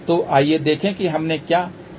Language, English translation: Hindi, So, let us see what is the simple problem we have taken